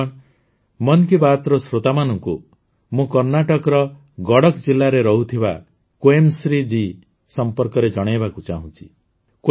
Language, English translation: Odia, Friends, I would also like to inform the listeners of 'Mann Ki Baat' about 'Quemashree' ji, who lives in Gadak district of Karnataka